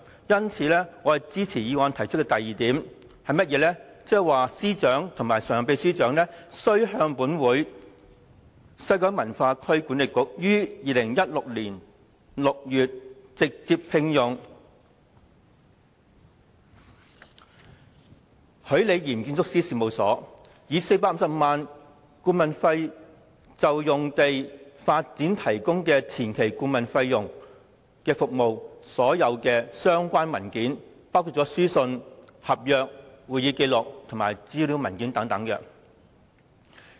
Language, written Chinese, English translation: Cantonese, 有見及此，我支持議案提出的第二點，向司長及常任秘書長提出要求，就西九管理局於2016年6月直接聘用許李嚴建築師事務所，以450萬元顧問費就用地發展提供前期顧問服務一事，向本會提交所有相關文件，包括書信、合約、會議紀錄及資料文件等。, For this reason I support the second point stated in the motion that the Chief Secretary and the Permanent Secretary are required to produce all relevant documents including the letters contracts minutes of meetings and information papers to this Council in connection with the direct appointment of ROCCO Design Architects Limited in June 2016 at the consultancy fee of 4.5 million to provide pre - development consultancy services